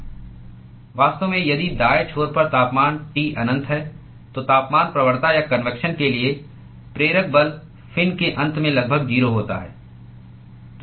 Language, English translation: Hindi, In fact, if the temperature at the right end is T infinity, then the temperature gradient or driving force for convection is almost 0 at the end of the fin